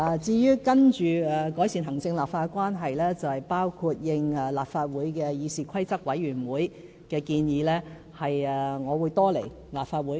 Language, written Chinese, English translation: Cantonese, 至於接下來如何改善行政立法關係，我會應立法會議事規則委員會的建議，多來立法會。, With regard to how to improve the relationship between the executive and the legislature from now on I am going to visit the Legislative Council more often at the suggestion made by its Committee on Rules of Procedure